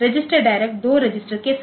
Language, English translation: Hindi, So, register direct with two registers